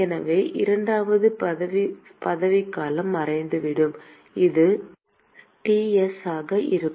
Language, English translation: Tamil, So, the second term will disappear and this will simply be Ts